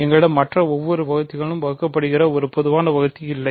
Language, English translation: Tamil, We do not have a common divisor which is divisible by every other divisor, ok